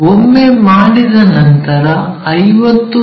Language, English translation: Kannada, Once done, make 50 mm cut